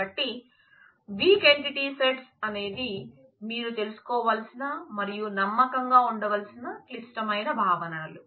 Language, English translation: Telugu, So, weak entity sets are critical notions that you need to be aware of need to be confident of